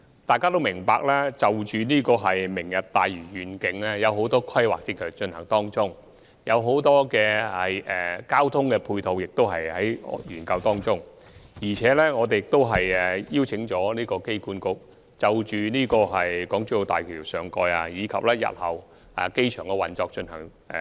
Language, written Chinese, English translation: Cantonese, 大家都明白，就着"明日大嶼願景"，有很多規劃正在進行，也有很多交通配套方案正在研究，我們亦已邀請機管局就港珠澳大橋上蓋及日後機場的運作進行研究。, As we all know in relation to the Lantau Tomorrow Vision many planning are now under way including a number of traffic proposals . We have invited AA to conduct a study on the topside development of HZMB and the future operation of the airport